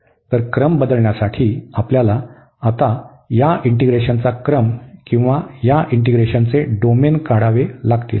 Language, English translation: Marathi, So, for changing the order we have to now draw this order of integration or the domain of this integration here